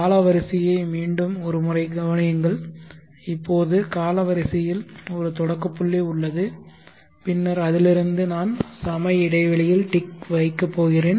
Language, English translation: Tamil, Consider the timeline once again, now timeline there is a start point and then I am going to mark ticks at equal spaced intervals